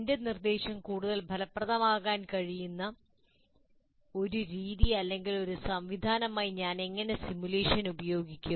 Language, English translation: Malayalam, How do I use the simulation as a method or a mechanism by which I can make my instruction more effective